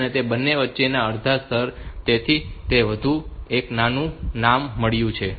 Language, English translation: Gujarati, So, that is why it is the half way between the two, so it has got the name like that